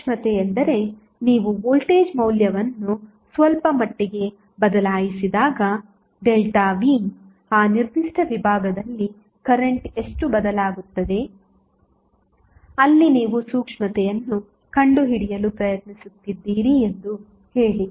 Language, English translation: Kannada, Sensitivity means, when you change the value of voltage a little bit say delta V, how much the current will change in that particular segment, where you are trying to find out the sensitivity